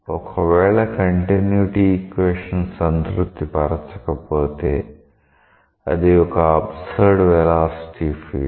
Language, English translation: Telugu, If it does not satisfy the continuity equation, it is an absurd velocity field